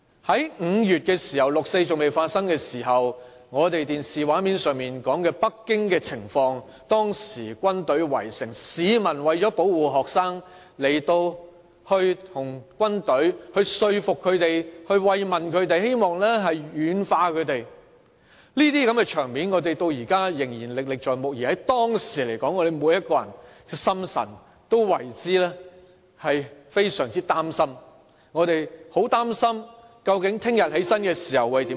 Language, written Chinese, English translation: Cantonese, 在5月，當時六四事件尚未發生，電視畫面上播放着北京的情況，軍隊圍城，市民為了保護學生，想說服軍隊，慰問他們，希望能夠軟化他們，這些場面我們至今仍然歷歷在目，而當時我們每個人的心裏都非常擔心，很擔心明天起床會變成怎樣。, We saw the army besiege the city and in order to protect the students the public in an attempt to persuade the army expressed their concern for the army in an effort to soften them up . These scenes still remain vivid in our mind even now . At that time every one of us was gravely worried